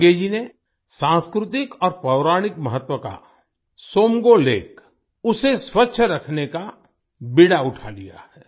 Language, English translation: Hindi, Sange ji has taken up the task of keeping clean the Tsomgo Somgo lake that is of cultural and mythological importance